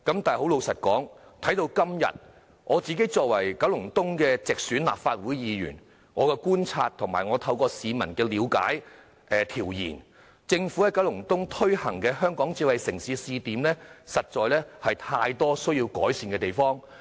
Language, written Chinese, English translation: Cantonese, 但老實說，直到今天，我作為九龍東的直選立法會議員，據我的觀察及透過向市民了解和進行調研，政府以九龍東作為推行香港智慧城市的試點，實在有太多需要改善的地方。, But honestly according to my observation as a Legislative Council Member directly elected in Kowloon East and through consulting the public and conducting studies and surveys there are indeed too many areas that require improvement in the Governments proposal of making Kowloon East a pilot smart city